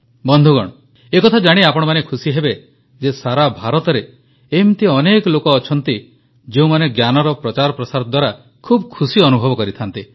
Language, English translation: Odia, But you will be happy to know that all over India there are several people who get immense happiness spreading knowledge